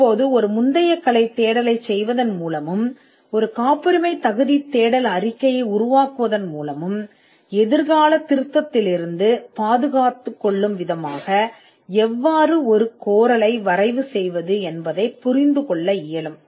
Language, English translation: Tamil, Now by performing a prior art search, and by generating a patentability search report, you would understand as to how to draft a claim in such a manner that you can protect yourself, or safeguard yourself from a future amendment